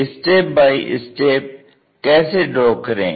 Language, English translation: Hindi, How to do that step by step